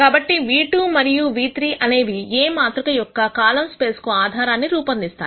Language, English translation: Telugu, So, nu 2 and nu 3 form a basis for this column space of matrix A